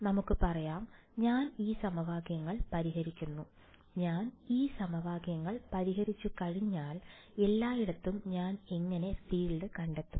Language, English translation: Malayalam, Let us say, I solve these equations; once I solve these equations, how will I find the field everywhere